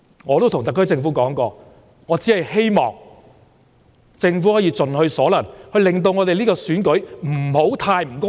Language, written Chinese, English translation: Cantonese, 我曾告訴特區政府，我只是希望政府能夠盡其所能，令選舉不會過於不公平。, I once told the SAR Government that I only hoped it would try as far as possible to prevent the election from being too unfair